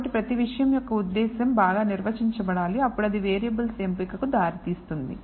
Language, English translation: Telugu, So, the purpose for each thing has to be well defined, then that leads you to the selection of variables